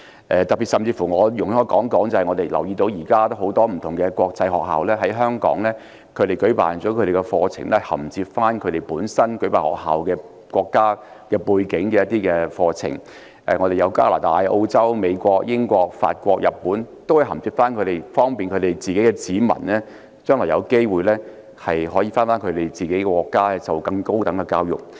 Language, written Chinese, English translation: Cantonese, 特別是我們留意到，現時多間國際學校在香港舉辦課程，銜接其自身國家的一些課程，例如加拿大、澳洲、美國、英國、法國及日本都有在港開設學校，方便國民將來回國時，可銜接當地更高等的教育。, In particular we have noticed that a number of international schools have been organizing courses in Hong Kong for articulation to some courses in their own countries eg . Canada Australia the United States the United Kingdom France and Japan have also set up schools in Hong Kong to facilitate their nationals to articulate to higher education when they return to their country